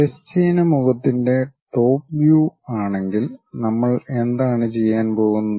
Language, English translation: Malayalam, If it is a top view the horizontal face what we are going to do